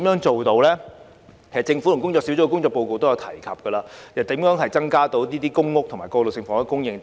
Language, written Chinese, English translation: Cantonese, 政府和工作小組的報告均有提及增加公屋及過渡性房屋的供應等。, The Government and the report of the Task Force have both mentioned that the supply of public housing and transitional housing should be increased etc